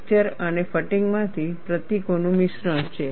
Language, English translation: Gujarati, There is a mixture of symbols from fracture and fatigue